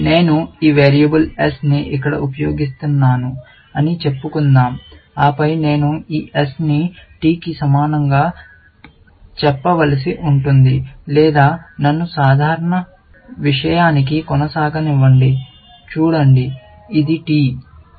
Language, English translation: Telugu, Let us say I use this variable s here, and then, I will have to say this s equal to t, or let me just keep to simple thing; see, this is t